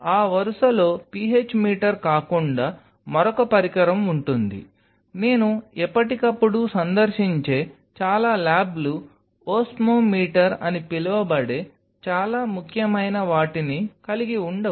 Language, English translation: Telugu, Next in that line apart from PH meter, will be another instrument which most of the labs I visit time to time do not carry with something which is very important that is called Osmometer